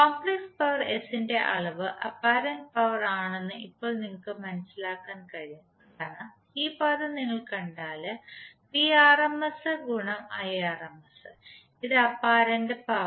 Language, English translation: Malayalam, Now you can notice that the magnitude of complex power S is apparent power because if you see this term Vrms into Irms this is our apparent power